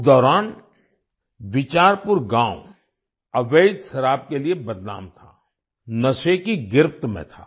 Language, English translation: Hindi, During that time, Bicharpur village was infamous for illicit liquor,… it was in the grip of intoxication